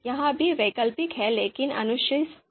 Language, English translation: Hindi, So this is the fourth step, optional but recommended